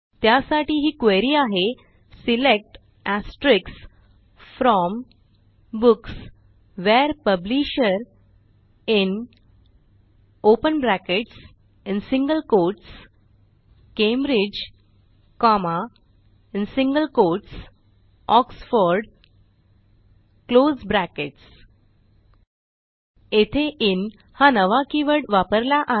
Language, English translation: Marathi, And here is our query: SELECT * FROM Books WHERE Publisher IN ( Cambridge, Oxford) Notice the new keyword IN